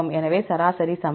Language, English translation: Tamil, So, average equal to